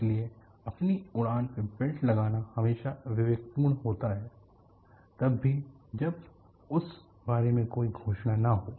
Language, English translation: Hindi, So,it is always prudent to put your flight belts on, even when there is no announcement regarding that